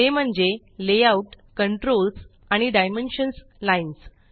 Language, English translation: Marathi, They are the Layout, Controls and Dimensions Lines